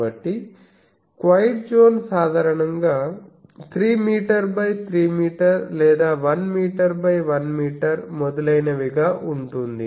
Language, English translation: Telugu, So, that quite zone typically 3 meter by 3 meter or 1 meter by 1 meter etc